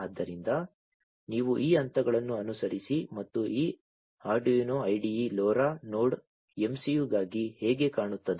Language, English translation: Kannada, So, you follow these steps and then this is how this Arduino IDE looks like for LoRa Node MCU